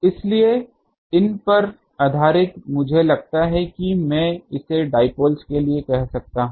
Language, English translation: Hindi, So, based on these I think I can say this as for the dipole